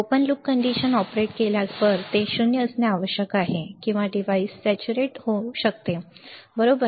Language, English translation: Marathi, When operated in an open loop condition, it must be nulled or the device may get saturated, right